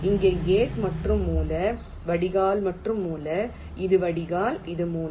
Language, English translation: Tamil, here, gate and the source, ah, drain and the source, this is drain, this is source and gate